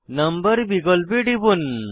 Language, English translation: Bengali, Click on number option